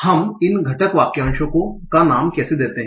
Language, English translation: Hindi, So, how do we name these constituency phrases